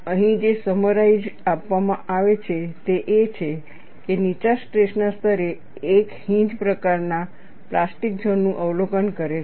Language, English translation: Gujarati, And what is summarized here is, at low stress levels one observes a hinge type plastic zone